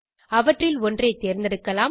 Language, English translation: Tamil, You may choose one of these..